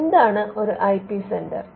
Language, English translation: Malayalam, Now, what is an IP centre